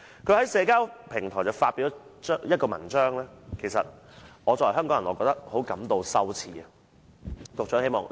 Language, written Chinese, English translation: Cantonese, 他在社交平台發表了一篇文章，令到作為香港人的我也感到十分羞耻。, He wrote something on a social media which makes Hong Kong people feel ashamed